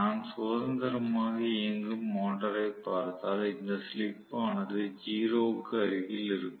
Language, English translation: Tamil, If I am looking at the motor running freely this slip will be close to 0